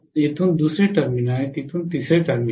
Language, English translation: Marathi, Second terminal from here, and third terminal from here